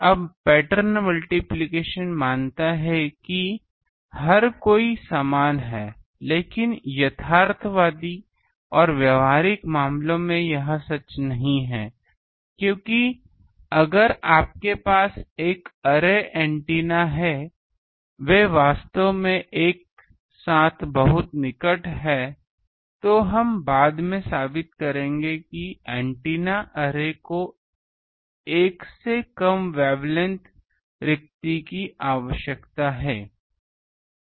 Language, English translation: Hindi, Now pattern multiplication assumes that everyone is having these, but in realistic and practical cases this is not true because, if you have an array antenna now since they are very closely spaced together actually we will prove later that array antennas need to have the spacing need to be less than one wavelength